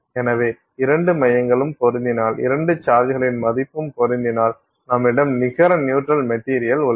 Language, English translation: Tamil, So, if the two centers match and the value of the two charges matches then you have a net neutral material, right